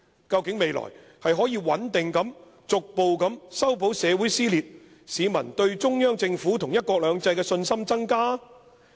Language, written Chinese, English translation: Cantonese, 究竟未來是可以穩定地逐步修補社會撕裂，市民對中央政府和'一國兩制'的信心增加？, Will the division in society be gradually narrowed and patched up in future and the peoples confidence in the Central Government and the implementation of one country two systems increase?